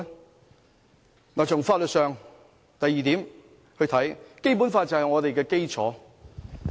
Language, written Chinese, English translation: Cantonese, 第二，從法律上來看，《基本法》就是我們的基礎。, Second from the legal perspective the Basic Law is the basis of our affairs